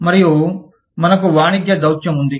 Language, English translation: Telugu, And, we have, Commercial Diplomacy